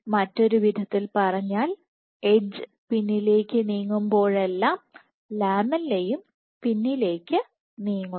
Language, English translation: Malayalam, In other words, whenever the edge moves back the lamella also moves back